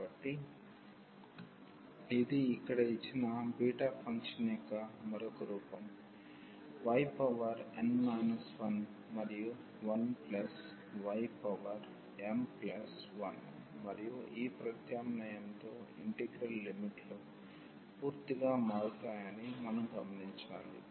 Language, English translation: Telugu, So, this is another form of the beta function given here y power n minus 1 and 1 plus y power m plus 1 and we should note that with this substitution the integral limits change completely